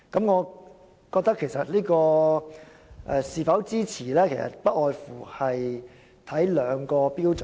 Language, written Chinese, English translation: Cantonese, 我認為是否支持這項議案，不外乎取決於兩項標準。, In my view whether this motion is worth supporting hinges on two issues